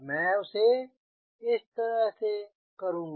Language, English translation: Hindi, i will give like this